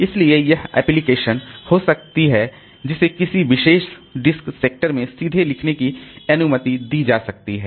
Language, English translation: Hindi, So, it can be, the process can be allowed to directly write to some particular sector and all